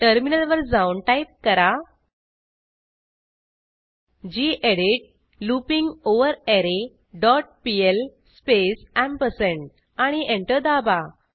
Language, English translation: Marathi, Switch to the terminal and type gedit arrayLength dot pl space ampersand Press Enter